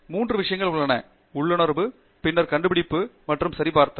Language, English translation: Tamil, There are three things: intuition, and then discovery, and validation